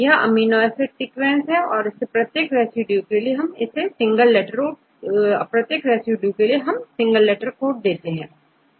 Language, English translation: Hindi, So, and this is amino acid sequence right, I give the amino acid sequence in single letter code right